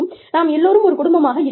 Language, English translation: Tamil, We are family